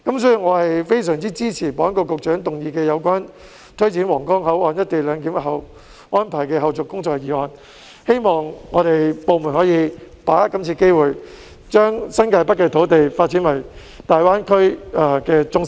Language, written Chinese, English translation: Cantonese, 所以，我非常支持保安局局長動議的有關推展皇崗口岸「一地兩檢」安排的後續工作的議案，希望各部門能把握今次機會，將新界北的土地發展為大灣區的中心。, Therefore I strongly support the motion moved by the Secretary for Security on taking forward the follow - up tasks of implementing co - location arrangement at the Huanggang Port and hope that various departments seize this opportunity to develop the land in New Territories North into the centre of the Greater Bay Area